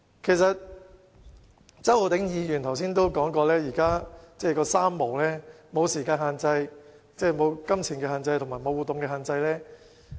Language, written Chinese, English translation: Cantonese, 正如周浩鼎議員剛才所說，現時的情況是"三無"——無時間限制、無金錢限制和無活動限制。, As mentioned by Mr Holden CHOW just now the present situation is marked by three nos―no time restraint no monetary restraint and no movement restraint